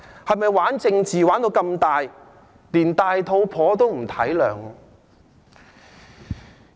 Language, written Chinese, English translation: Cantonese, 是否"玩"政治要玩得這麼大，連孕婦也不體諒呢？, Does it need to go that far when playing with politics so that even pregnant women are not given any empathy?